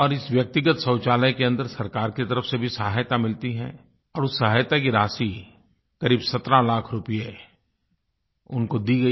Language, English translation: Hindi, Now, to construct these household toilets, the government gives financial assistance, under which, they were provided a sum of 17 lakh rupees